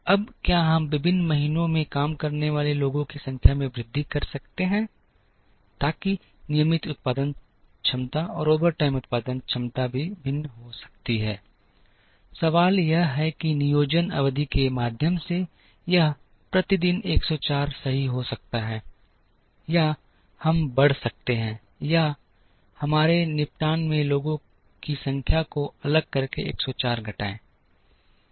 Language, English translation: Hindi, Now, can we increase the number of people working in different months, so that the regular time production capacity and the overtime production capacity can also vary, the question is it going to be 104 per day right through the planning period or can we increase or decrease that 104 by varying the number of people at our disposal